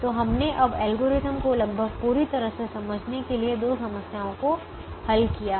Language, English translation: Hindi, so we have now solved two problems to understand the algorithm almost fully